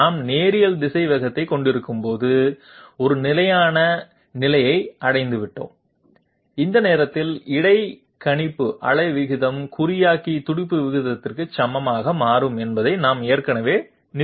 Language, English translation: Tamil, We already established that when we are having linear velocity, a steady state has been reached and at that time interpolator pulses becomes equal to the encoder pulse rate